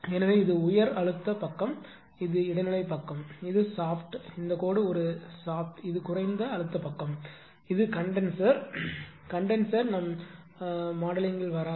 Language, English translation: Tamil, So, this is high pressure side this is the intermediate side, this is shaft this dashed line is a shaft this is low pressure side, this is condenser condenser will not come into our modeling right